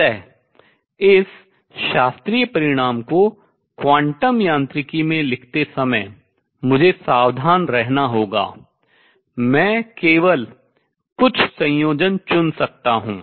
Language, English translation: Hindi, So, while writing this classical result in a quantum mechanics sense, I have to be careful I can choose only certain combinations